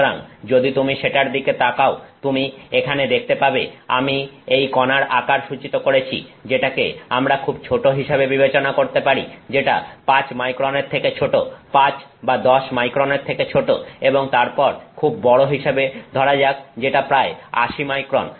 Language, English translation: Bengali, So, if you look at so, you can see here that I have indicated that there are very this particle size, that we can consider as very small which is less than 5 microns, less than 5 or 10 microns and then very large which is greater than about say 80 microns